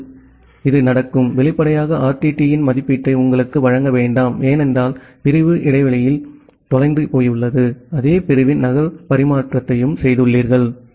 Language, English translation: Tamil, Now, if that is the case, then this will; obviously, not give you an estimation of the RTT because in between the segment got lost and you have made a duplicate transmission of the same segment